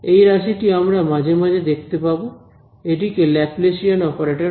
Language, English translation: Bengali, This term we will encounter a few times; this is called the Laplacian operator right